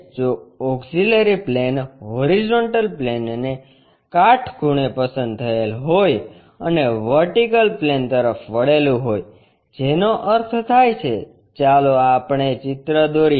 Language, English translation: Gujarati, If the auxiliary plane is selected perpendicular to horizontal plane and inclined to vertical plane that means, let us draw a picture